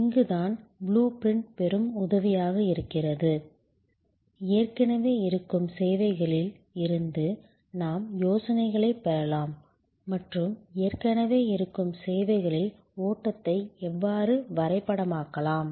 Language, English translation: Tamil, This is where the blue print is of immense help, where we can draw ideas from existing services and how the flow can be mapped in existing services